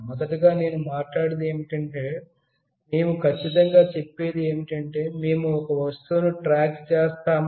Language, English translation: Telugu, Firstly I will talk about that what exactly we are trying to say, when we say we track an object